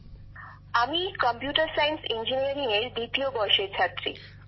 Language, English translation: Bengali, I am a second year student of Computer Science Engineering